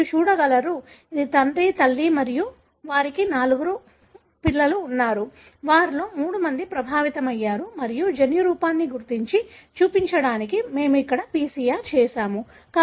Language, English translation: Telugu, You can see, this is the father, mother and they have got 4 children, of which 3 are affected and we have done this PCR to detect and show the genotype